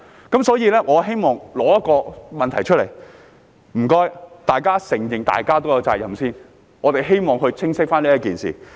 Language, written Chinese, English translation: Cantonese, 因此，我帶出這個問題，請大家承認各有責任，希望弄清這件事。, That is why I bring up this issue and urge Members to acknowledge that there are responsibilities for all parties . I wish to clarify this matter